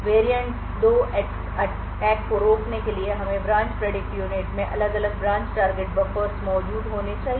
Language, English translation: Hindi, In order to prevent variant 2 attacks we need to have different branch target buffers present in the branch predictor unit